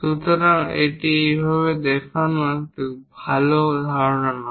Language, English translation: Bengali, So, it is not a good idea to show it in this way, this is wrong